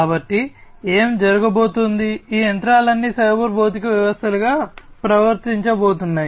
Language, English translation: Telugu, So, what is going to happen, these machineries are all going to behave as cyber physical systems